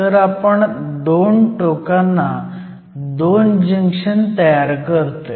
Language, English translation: Marathi, So, you essentially form 2 junctions at the 2 ends